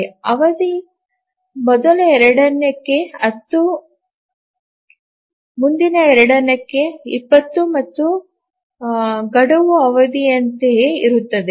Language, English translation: Kannada, The period is 10 for the first 2, 20 for the next 2 and the deadline is same as the period